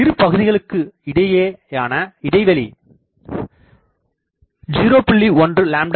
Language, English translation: Tamil, If we have a spacing of 0